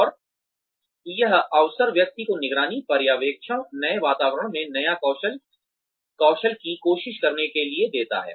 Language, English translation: Hindi, And, this opportunity, gives the person to try, the new skill in a monitored, supervised, new environment